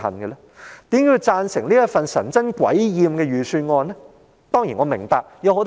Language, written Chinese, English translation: Cantonese, 為何要贊成通過這份神憎鬼厭的預算案呢？, Why should they support the passage of this unwelcome and disgusting Budget?